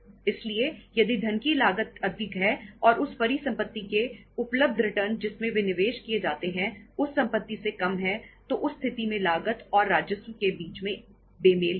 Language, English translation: Hindi, So if the cost of funds is high and the returns available from the asset in which they are invested in the that is the current assets, if the return is lesser from those assets in that case there will be a mismatch between the cost and the revenue available